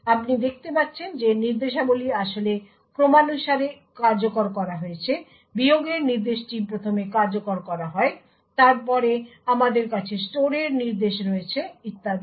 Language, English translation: Bengali, So, you see that the instructions are actually executed out of order, the subtract instruction in fact is executed first, then we have the store instruction and so on